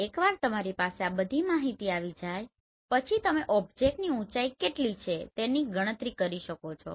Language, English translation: Gujarati, So once you have all this information with you, you can always calculate what is the height of the object